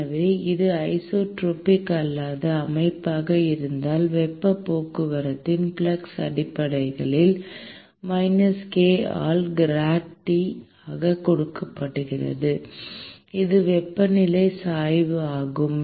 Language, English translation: Tamil, So, suppose if it is a non isotropic system, then the flux of heat transport is essentially given by minus k into gradT, which is the temperature gradient